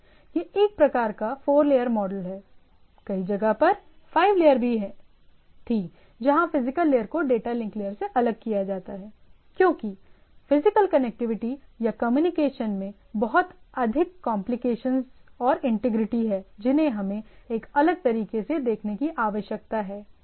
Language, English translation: Hindi, So it is a some sort of 4 layer, but typically we will discuss the things as a interchangeably had 5 layer where the data link at physical things are separated out, as physical connectivity or communication have lot of complicacies and integrity we need to look at those type of things in a separate way